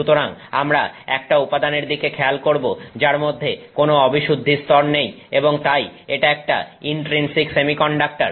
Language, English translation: Bengali, So, we are looking at a material which does not have any impurity level in it and so it is an intrinsic semiconductor